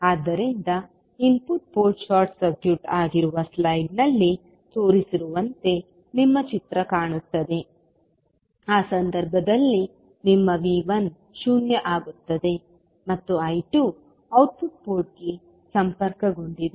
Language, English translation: Kannada, So your figure will look like as shown in the slide where the input port is short circuited in that case your V 1 will become 0 and I 2 is connected to the output port